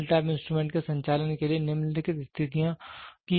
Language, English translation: Hindi, For the operation of the null type instruments, the following conditions are required